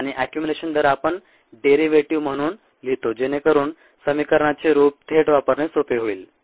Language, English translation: Marathi, and the rate of accumulation we write as the derivative so that the form is easy to directly use